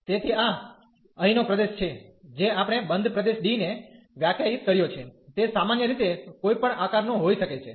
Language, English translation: Gujarati, So, this is the region here we have define a closed region D, it can be of any shape in general